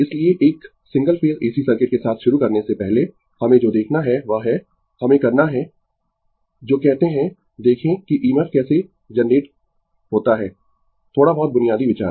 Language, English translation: Hindi, So, before starting with a Single Phase AC Circuit what we have to see is that, you we have to your what you call see that how EMF is generated, little some basic ideas